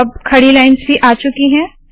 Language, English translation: Hindi, So now the vertical lines have also come